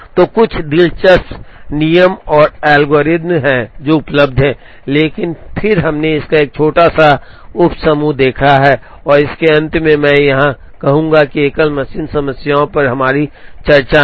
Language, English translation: Hindi, So, there are some interesting rules and algorithms, which are available, but then we have seen a small sub set of it and at the end of it I would say here that, at the our discussion on single machine problems